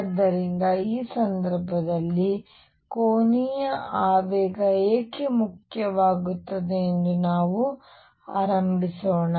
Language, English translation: Kannada, So, let us begin as to why angular momentum becomes important in this case